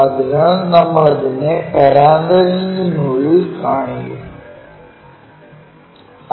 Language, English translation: Malayalam, So, within the parenthesis we will show